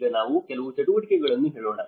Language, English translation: Kannada, Now, let us say a few activities